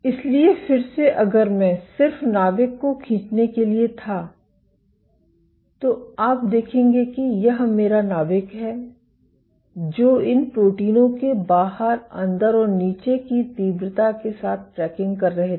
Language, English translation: Hindi, So, again if I were to just draw the nucleus, you see this is my nucleus they were tracking outside inside and bottom intensity of these proteins